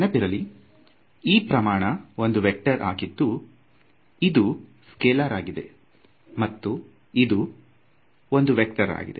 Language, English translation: Kannada, So, remember so, this quantity over here is a vector right, this quantity over here will be a scalar right and this quantity over here is going to be a vector